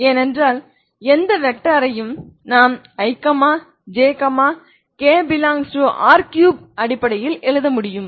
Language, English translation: Tamil, Because any vector i can write in terms of ijk in r3